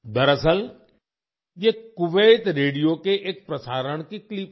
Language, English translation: Hindi, Actually, this is a clip of a broadcast of Kuwait Radio